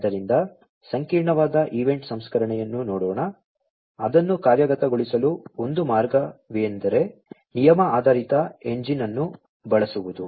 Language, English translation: Kannada, So, let us look at the complex event processing, one of the ways to implement it is using rule based engine